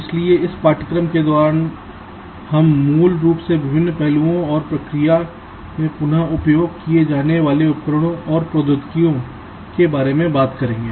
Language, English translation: Hindi, so during this course we shall basically be talking about the various aspects and the tools and technologies that reused in the process